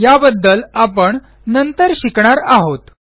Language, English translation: Marathi, We will learn about these later